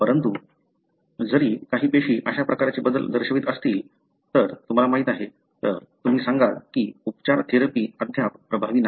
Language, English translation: Marathi, But, even if few cells show such kind of, you know, changes, then you would tell that the, the treatment, therapy is not yet effective